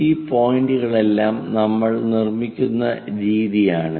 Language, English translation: Malayalam, This is the way we construct all these points